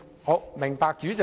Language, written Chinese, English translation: Cantonese, 好的，明白，主席。, Alright I get it President